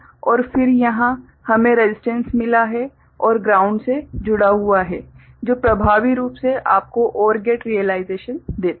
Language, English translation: Hindi, And then here we have got the resistance and connected to the ground which effectively gives you a OR gate realization